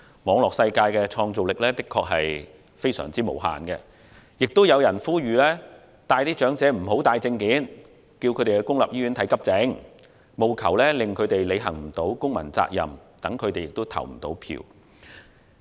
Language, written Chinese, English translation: Cantonese, 網絡世界的創造力的確非常無限，更有人呼籲長者無須帶任何證件，以及帶他們到公立醫院輪候急症服務，務求令他們未能履行公民責任，讓他們無法投票。, There is indeed no limit to the creativity on the Internet there have been calls for elderly people not to bring any personal documents or taking them to public hospitals to wait for accident and emergency services there . The whole purpose is to prevent elderly people from fulfilling their civic responsibility of voting in the election